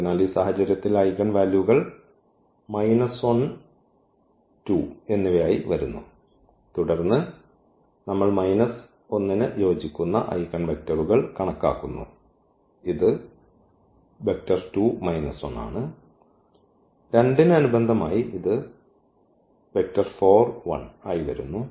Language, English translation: Malayalam, So, in this case the eigenvalues are coming to be minus 1 and 2 and then we compute the eigenvectors corresponding to minus 1 it is 2 1 and corresponding to 2 it is coming as 4 1